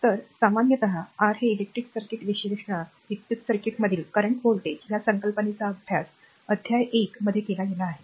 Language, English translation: Marathi, So, generally your in the in the electrical circuit analysis, right the concept such as current voltage and power in an electrical circuit have been we have studied in the chapter 1